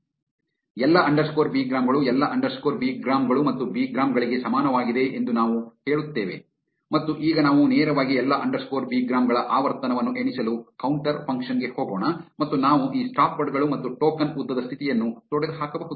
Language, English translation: Kannada, So, we say all underscore bigrams is equal to all underscore bigrams plus bigrams and now we directly go to the counter function to count the frequency of all underscore bigrams and we can get rid of this stopwords and token length condition